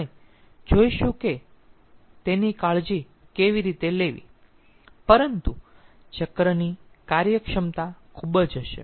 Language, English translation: Gujarati, we will see how to take care of that but the efficiency of the cycle will be very